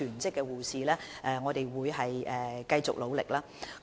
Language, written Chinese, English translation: Cantonese, 所以，我們會繼續努力招聘全職護士。, So we will keep up our efforts to recruit full - time nurses